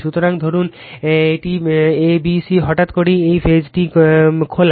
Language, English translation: Bengali, So, suppose this a b c all of a sudden this, your this, phase is open right